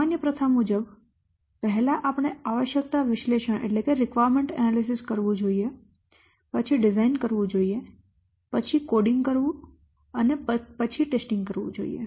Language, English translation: Gujarati, See, normally normal practice said that first you should do the requirement analysis, then design, then coding, then testing